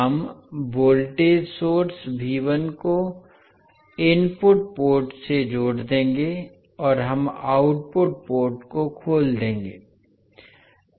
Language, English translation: Hindi, We will connect the voltage source V1 to the input port and we will open circuit the output port